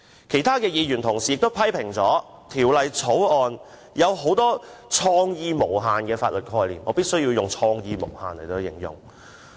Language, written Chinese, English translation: Cantonese, 其他議員也批評《條例草案》有很多"創意無限"的法律概念——我必須以"創意無限"來形容。, Other Members have also criticized the Bill of having many highly creative legal concepts―I must describe them as highly creative